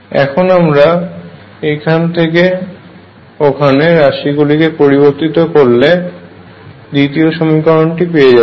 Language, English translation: Bengali, Bring the terms from here to there and you get the second equation